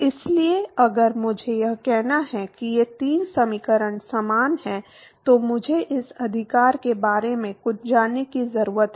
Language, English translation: Hindi, So, if I have to say that these three equations are similar then I need to know something about this right